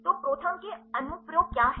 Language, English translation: Hindi, So, what are the applications of ProTherm